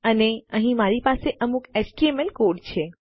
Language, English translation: Gujarati, And here I have got some html code